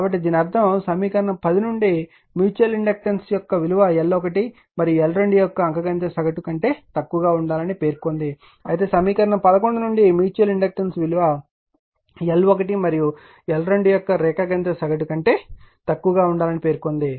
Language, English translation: Telugu, So, ; that means, equations 10 state that a mutual inductance must be less than the arithmetic mean of L 1 L 2, while equation eleven states that mutual inductance must be less than the geometric mean of L 1 and L 2